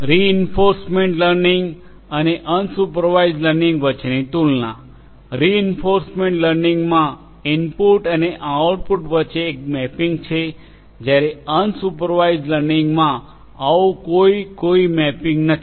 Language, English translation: Gujarati, Comparison between the reinforcement learning and unsupervised; in reinforcement learning there is a mapping between the input and the output whereas, in unsupervised learning there is no such mapping